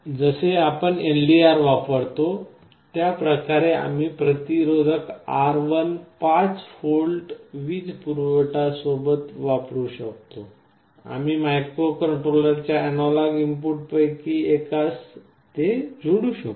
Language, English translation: Marathi, Like we can use an LDR, we can use a resistance R1 with a 5V supply, we can feed it to one of the analog input pins of the microcontroller